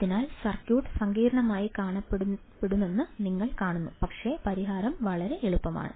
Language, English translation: Malayalam, So, you see the circuit may look complex, but the solution is very easy